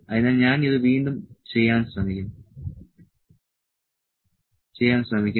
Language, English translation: Malayalam, So, let me try to do it again